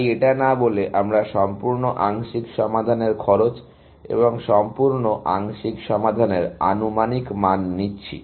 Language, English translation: Bengali, So, instead of saying that, we are taking the cost of the complete partial solution and estimate of the complete partial solution